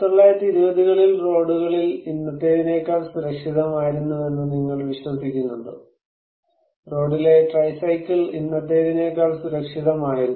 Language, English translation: Malayalam, Do you believe in 1920’s, the roads were more safer than today, tricycle on road was much safer than today